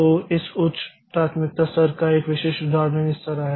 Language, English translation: Hindi, So, a typical example of this different priority level is like this